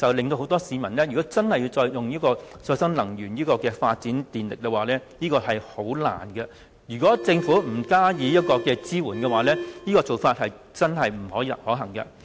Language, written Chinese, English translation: Cantonese, 所以，讓市民自家發展再生能源是十分困難的。如果政府不加以支援，這個方法並不可行。, Hence the plan to engage the public in the generation of renewable energy is difficult to implement and will be infeasible without support from the Government